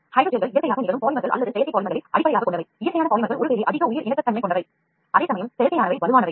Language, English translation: Tamil, Hydrogels can be based on naturally occurring polymers or synthetic polymers, the natural polymers are perhaps more biocompatible whereas the synthetic ones are stronger